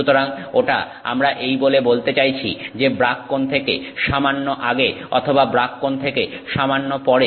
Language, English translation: Bengali, So, that is what, that's what we mean by saying a slightly before the brag angle or slightly after the brag angle